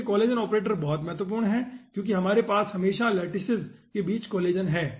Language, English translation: Hindi, this collision operator is very, very important because we are having always the collision between the lattices